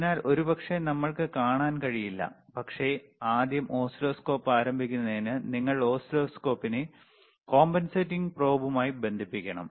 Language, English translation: Malayalam, So, probably we cannot see, but to first start the oscilloscope, first to understand the oscilloscope